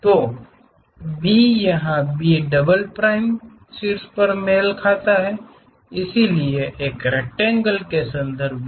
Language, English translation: Hindi, So, B here B double prime matches on the top side; so, with respect to that draw a rectangle